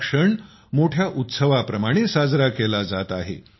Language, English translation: Marathi, This occasion is being celebrated as a big festival